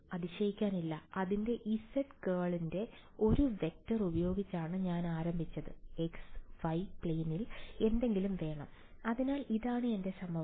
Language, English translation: Malayalam, Not surprising, I started with a vector in the z direction curl of it give me something in the x y plane right, so this is my equation